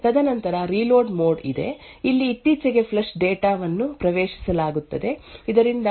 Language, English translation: Kannada, And then there is a reload mode where the recently flush data is accessed taken so that it is reloaded back into the cache